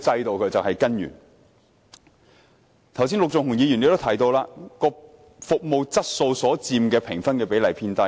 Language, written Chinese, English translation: Cantonese, 陸頌雄議員剛才亦提到，服務質素所佔的評分比例偏低。, Just now Mr LUK Chung - hung also mentioned that the score weighting carried by the quality of outsourced services is relatively low